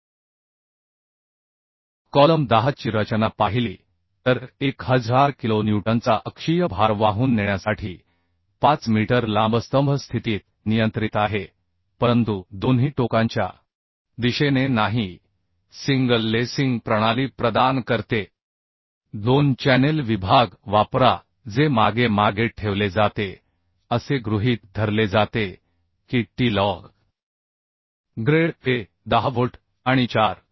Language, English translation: Marathi, 5 meter long to carry a factor axial load of 1000 kilonewton The column is restrained in position but not in direction at both ends Provide single lacing system Use 2 channel section placed as back to back Assume steel of grade Fe410 bolts and bolts of 4